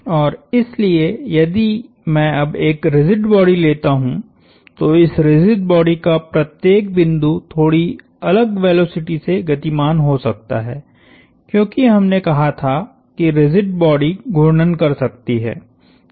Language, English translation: Hindi, And so if I now take a rigid body, each point on this rigid body can be moving with slightly different velocities, because we said rigid body can rotate